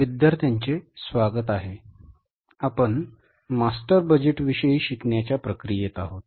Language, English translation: Marathi, So, we are in the process of learning about the master budget